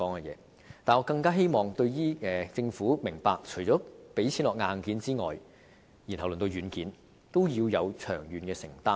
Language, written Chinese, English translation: Cantonese, 可是，我更希望政府明白，除了撥款發展硬件外，對軟件也要有長遠的承擔。, Having said that I all the more hope that the Government apart from making provisions for hardware development also appreciates the need to make long - term commitments to software development too